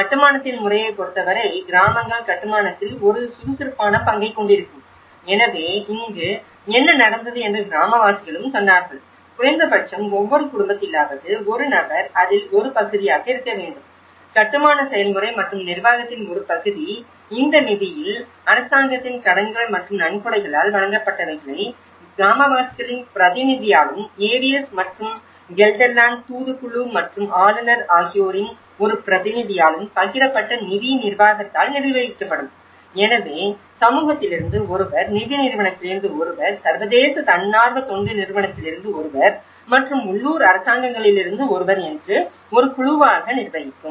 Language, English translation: Tamil, And the method of construction, that the villages would take an active part in the construction so, here what happened was the villagers they also said that at least each family one person has to be part of it, the part of the construction process and management of the fund, the credits given by the government and those from the donations would be managed by the shared fund administration of one representative from the villager AVS and the Gelderland delegation and the governorship so, there is a group of one from the community, one from the funding agency, one from the international NGO sponsor and the local governments